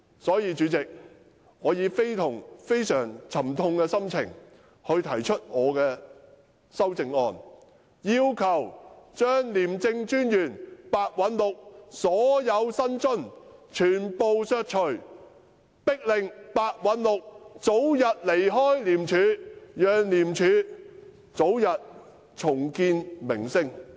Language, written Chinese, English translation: Cantonese, 因此，主席，我以非常沉痛的心情提出我的修正案，要求全數削除廉政專員白韞六的薪津，迫使這人盡早離開廉署，好讓廉署早日重建名聲。, Hence Chairman with a heavy heart I moved my amendment demanding a cut of the personal emoluments of ICAC Commissioner Simon PEH in full so as to force this person to leave early . That way ICAC will be able to rebuild its reputation soon